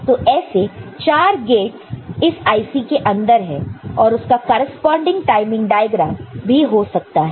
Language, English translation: Hindi, So, 4 such these gates are there inside the IC and you can have a corresponding timing diagram, ok